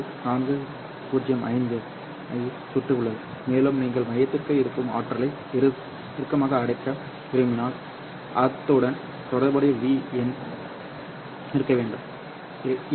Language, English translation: Tamil, 405 and we have mentioned that if you want to have a tighter confinement of the energy inside the core, then the corresponding V number should be very close to 2